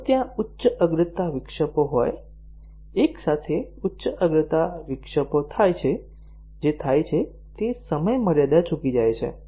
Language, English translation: Gujarati, So, if there are high priority interrupts, simultaneous high priority interrupts occurring what happens, is the deadline missed